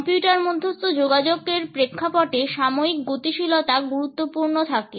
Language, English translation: Bengali, In the context of computer mediated communication, the temporal dynamics remain important